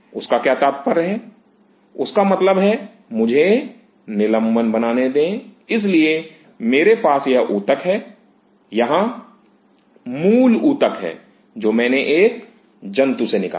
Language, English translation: Hindi, What does; that means, let me suspension; that means, so, I have this tissue, here the original tissue which I took out from the animal